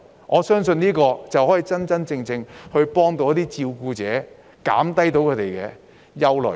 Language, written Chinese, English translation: Cantonese, 我相信，這才能真正幫助照顧者，紓解他們的憂慮。, I believe this can genuinely assist carers and allay their worries